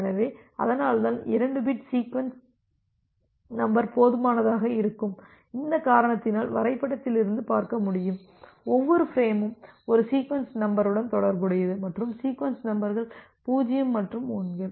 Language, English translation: Tamil, So, that is why 2 bit sequence number will be sufficient and because of this reason you can see from this diagram that, every frame is associated with one sequence number and the sequence numbers are 0’s and 1’s